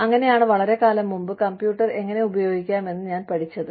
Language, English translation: Malayalam, So, that was the time, I mean, that is how, I learnt, how to use a computer, long time back